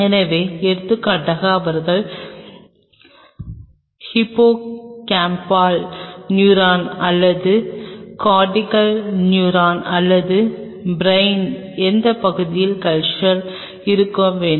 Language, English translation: Tamil, So, for example, you want culture they have hippocampal neuron or cortical neuron or any part of the brain